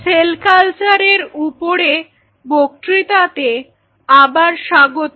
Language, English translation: Bengali, So, welcome back to the lecture series on Cell Culture